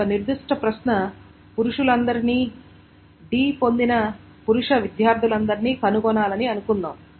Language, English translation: Telugu, So suppose a particular query is find all male students who got D